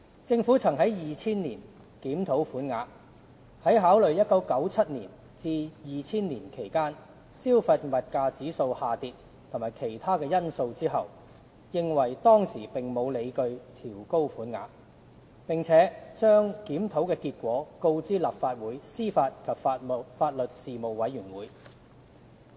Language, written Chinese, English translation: Cantonese, 政府曾在2000年檢討款額，在考慮1997年至2000年期間，消費物價指數下跌及其他因素後，認為當時並沒有理據調高款額，並把檢討結果告知立法會司法及法律事務委員會。, In 2000 the Government conducted a review of the bereavement sum and reached the view that there was no basis for increasing the sum at that stage considering inter alia the drop in the consumer price index between 1997 and 2000 . The Legislative Council Panel on Administration of Justice and Legal Services was informed of the result of the review